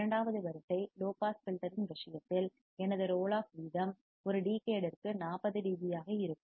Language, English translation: Tamil, In case of second order low pass filter, my roll off rate will be 40 dB per decade